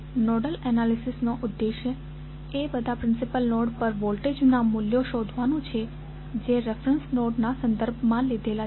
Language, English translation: Gujarati, The nodal analysis objective is to determine the values of voltages at all the principal nodes that is with reference to reference with respect to reference node